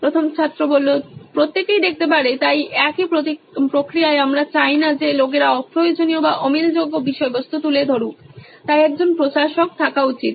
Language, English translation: Bengali, Everyone can see, so in the same process we do not want people putting up unrequired or unmatchable content so there should be a admin